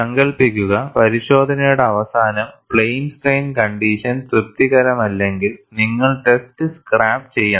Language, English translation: Malayalam, And imagine, at the end of the test, if plane strain condition is not satisfied, you have to scrap the test